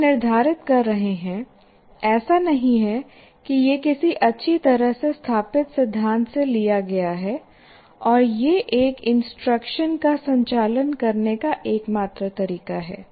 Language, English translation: Hindi, So we are prescribing, it is not as if it is derived from some what you call well established theory and this is the only way to conduct an instruction